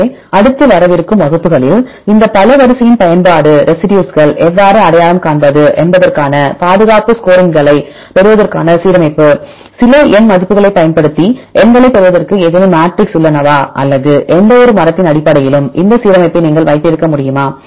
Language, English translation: Tamil, So, in the next coming classes, I will discuss about the use of this multiple sequence alignment to get the conservations score how for how to identify which residues are conserved are there any matrix to get the numbers using some numerical values or you can have this alignment based on any trees whether you can relate form of this evolutionary trees right as well as what can we do with these specific alignments and so on